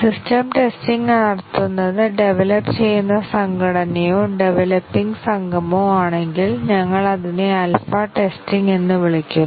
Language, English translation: Malayalam, If the system testing is done by the developing organization itself, the development team or the developing organization, we call it as the alpha testing